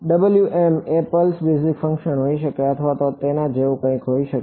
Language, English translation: Gujarati, Can W m be anything for example, can Wm be a pulse basis function or something like that right